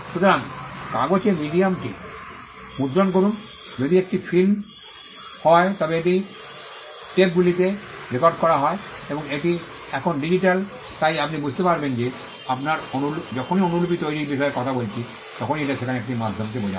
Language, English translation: Bengali, So, print the medium in paper if it is film it is recorded on tapes or now it is digital, so you will understand that whenever we are talking about making copies it implies a medium being there